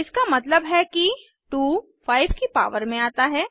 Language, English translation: Hindi, This means that 2 is raised to the power of 5